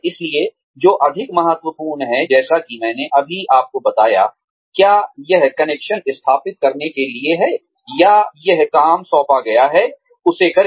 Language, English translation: Hindi, So, what is more important, like I just told you, is it to establish connections, or is it to, do the work that has been assigned